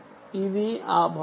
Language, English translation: Telugu, this is one part